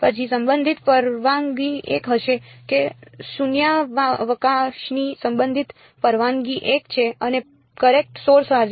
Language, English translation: Gujarati, Then the relative permittivity will be 1 that relative permittivity of vacuum is 1 and current source is present